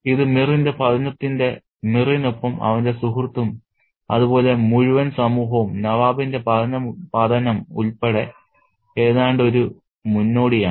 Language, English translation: Malayalam, It's almost a foreshadowing of the fall of Mir and with Mir his friend as well as the entire society, including the Nawab's fall